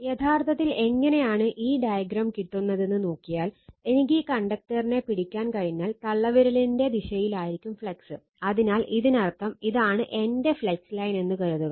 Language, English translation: Malayalam, Actually, you how you have taken it that if you come to this your what you call this diagram, so if you look into that I could grabs the conductor and thumb will be direction of the flux right, so that means, flux line is suppose, this is my flux line, this is my flux